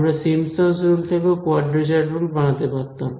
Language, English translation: Bengali, We could as well have made a quadrature rule out of Simpson’s rule